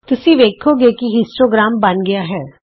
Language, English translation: Punjabi, Notice that the histogram is created here